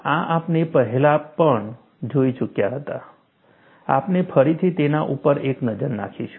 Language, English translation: Gujarati, This we had already seen earlier, we will again have a look at it